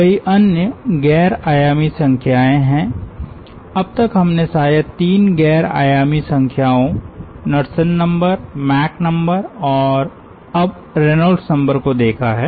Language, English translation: Hindi, till now we have seen may be three non dimensional numbers: knudsen number, mach number and now reynolds number